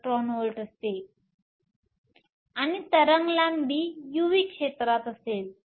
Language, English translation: Marathi, 4 e v, and the wave length will lie in the u v region